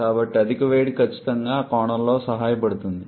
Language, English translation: Telugu, So, super heating definitely helps in that point of view